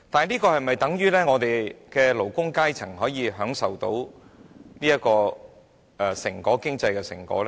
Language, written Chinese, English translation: Cantonese, 可是，這樣是否等於我們的勞工階層可以享受到經濟成果呢？, However does this mean that our working class can share the fruits of economic success?